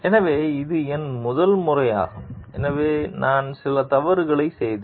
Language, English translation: Tamil, So, this was my first time so I made few mistakes